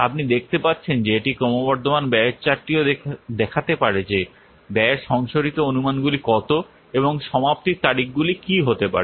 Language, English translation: Bengali, You can see that the cumulative expenditure chart it can also show what is the revised estimates of the cost and the completion dates